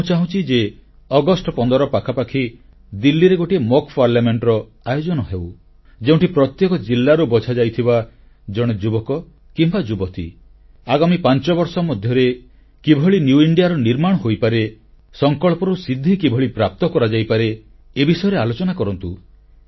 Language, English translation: Odia, I propose that a mock Parliament be organized around the 15th August in Delhi comprising one young representatives selected from every district of India who would participate and deliberate on how a new India could be formed in the next five years